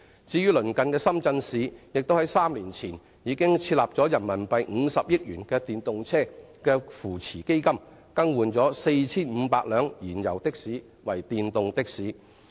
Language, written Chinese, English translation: Cantonese, 至於鄰近的深圳市，早於3年前已設立50億元人民幣電動車扶持資金，幫助淘汰 4,500 輛燃油的士，推動電動的士發展。, Our neighbouring city Shenzhen also set up an EV support fund with RMB5 billion as early as three years ago with the aim of helping to phase out the 4 500 fuel - engined taxis and promoting the development of electric taxis